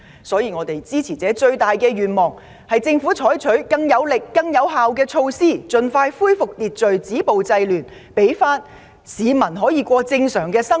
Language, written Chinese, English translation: Cantonese, 所以，我們的支持者最希望政府採取更有力、更有效的措施，盡快恢復秩序，止暴制亂，讓市民得以重過正常生活。, Therefore our supporters biggest hope is that the Government will take more powerful and effective measures to restore public order and stop violence and curb disorder as soon as possible so that the citizens will be able to live a normal life again